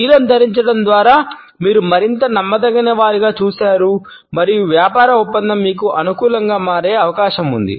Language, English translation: Telugu, By wearing blue you have seen more trustworthy and the business deal is more likely to turn out in your favor